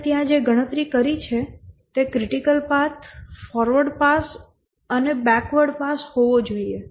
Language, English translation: Gujarati, The way we computed there has to be a critical path, the forward pass and backward pass